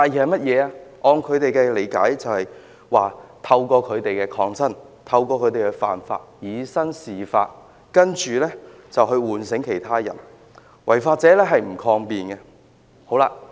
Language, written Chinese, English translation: Cantonese, 按照他們的理解，便是他們透過抗爭和犯法，以身試法，從而喚醒其他人，而違法者是不會抗辯的。, According to their understanding this is an attempt to awaken others by challenging the law through civil resistance and those who have violated the law in such actions will not defend their case